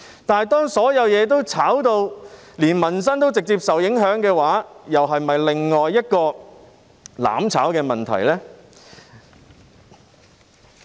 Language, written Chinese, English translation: Cantonese, 但是，當民生也直接受到炒賣風氣所影響的時候，這又是否另一個"攬炒"的問題呢？, However when peoples livelihood is also directly affected by speculative activities will this be another issue of mutual destruction?